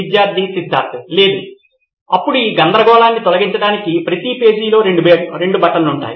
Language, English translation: Telugu, Student Siddhartha: No, then to clear this confusion what we can have is two buttons on every page